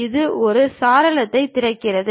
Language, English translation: Tamil, It opens a window